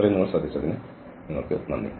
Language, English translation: Malayalam, So, thank you for your attention